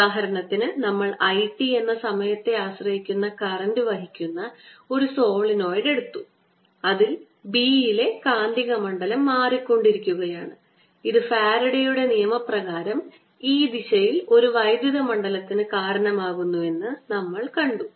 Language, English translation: Malayalam, for example, we did something in which is solenoid, whose carrying a current which was time dependent i, t, and therefore the magnetic field inside this b was changing and that we said by faraday's law, gave rise to an electric field going around um direction